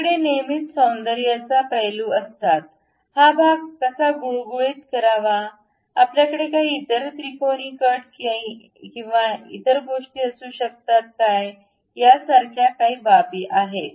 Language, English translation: Marathi, There are other aspects like aesthetic aspects we always have, how to really smoothen this portion, whether we can have some other kind of triangular cut and other things